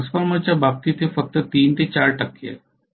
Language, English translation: Marathi, Whereas in the case of in transformer it is only 3 4 percent, right